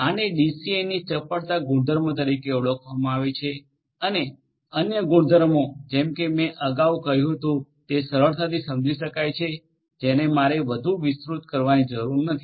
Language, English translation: Gujarati, This is known as the agility property of a DCN and the other properties as I said are easily understood and I do not need to elaborate further